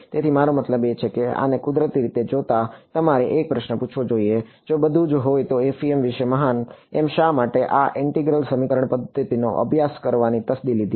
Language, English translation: Gujarati, So, I mean looking at this naturally you should ask a question if everything is so, great about FEM, why did we bother studying this integral equation method at all